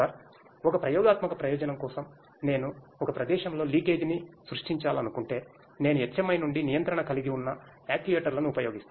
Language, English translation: Telugu, Sir, for an experimental purpose if I want to create a leakage at a location I will be using the actuators where I have control from the HMI